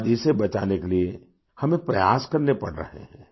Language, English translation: Hindi, Today we are required to make efforts to save it